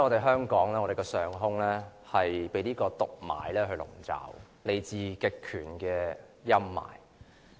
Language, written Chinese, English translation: Cantonese, 香港近數天的上空被毒霾籠罩，是來自極權的陰霾。, The sky of Hong Kong has been pervaded by the toxic smog flowing from a totalitarian regime these days